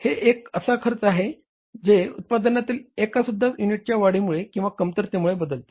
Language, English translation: Marathi, That means the cost which changes by increase or decrease in the production by even one unit